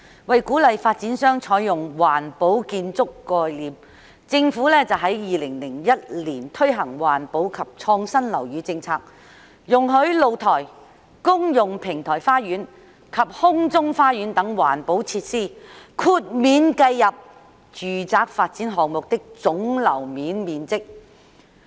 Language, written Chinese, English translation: Cantonese, 為鼓勵發展商採用環保建築概念，政府在2001年推行環保及創新樓宇政策，容許露台、公用平台花園及空中花園等環保設施豁免計入住宅發展項目的總樓面面積。, In order to encourage developers to adopt green building concepts the Government implemented a policy on green and innovative buildings in 2001 to allow green features such as balconies communal podium gardens and sky gardens to be exempted from the calculation of the gross floor areas GFA of residential development projects